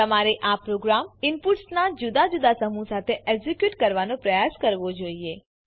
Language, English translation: Gujarati, You should try executing this program with different sets of inputs